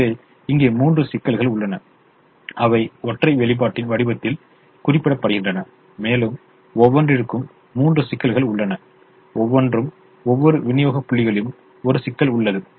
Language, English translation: Tamil, so there are three constraints here which are represented in the form of a single expression, and there are three constraints for each one, each for each of the supply points